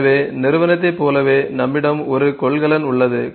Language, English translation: Tamil, So, similar to entity we have a container